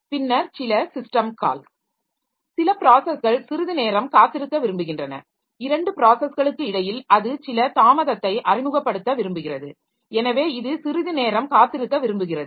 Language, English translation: Tamil, Then some system call some process may like to wait for some time that between two operations it wants to introduce some delay